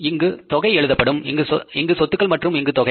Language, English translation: Tamil, Here it is the amount, here it is the assets and it is the amount